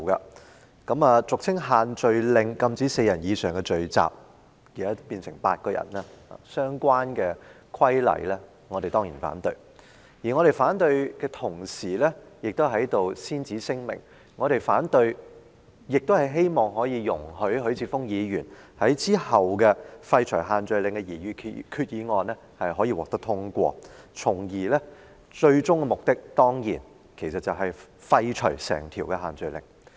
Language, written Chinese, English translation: Cantonese, 我們當然反對俗稱限聚令，禁止4人以上聚集的相關規例，而我們在反對的同時，先此聲明，我們亦希望許智峯議員稍後提出的廢除限聚令的擬議決議案獲得通過，從而達致最終目的，便是廢除整項限聚令。, Of course we oppose the relevant regulations prohibiting group gatherings with more than four people which is also commonly referred to as the social gathering restriction . Meanwhile apart from opposing the restriction I need to make it clear that we hope that the proposed resolution to be moved by Mr HUI Chi - fung later on which seeks to repeal the social gathering restriction will be passed with a view to achieving the ultimate goal of repealing all social gathering restrictions